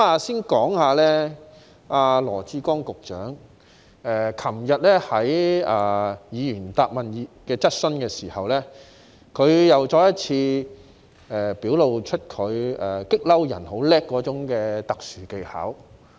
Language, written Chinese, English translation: Cantonese, 先說說羅致光局長昨天在回答議員質詢時，再次表露出他擅長於激怒人的特殊技巧。, To start with in his reply to a Members question yesterday Secretary Dr LAW Chi - kwong once again demonstrated his special skill in provoking peoples anger